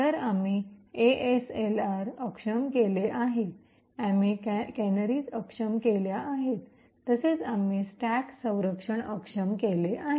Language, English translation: Marathi, So we have disabled ASLR, we have disabled canaries, as well as we have disabled the stack protection